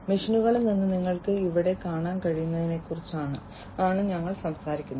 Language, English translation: Malayalam, So, we are talking about as you can see over here from machines